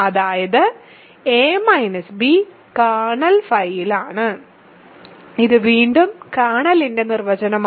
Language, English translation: Malayalam, That means, a minus b is in kernel phi, which is again the definition of the kernel